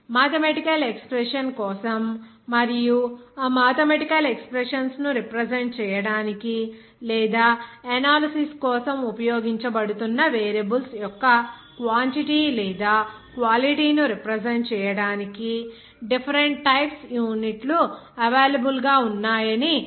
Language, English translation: Telugu, For mathematical expression and what are they to see that there different systems of units are available to represent those mathematical expressions or quantity or quality of the variables which are being used for analysis